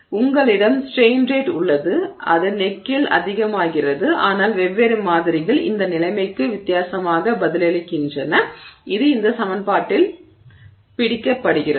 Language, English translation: Tamil, So, you have this strain rate that is getting higher at that neck, but different samples respond differently to this situation and that is captured by this equation